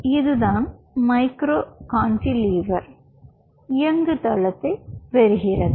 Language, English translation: Tamil, so this is how a micro cantilever system looks like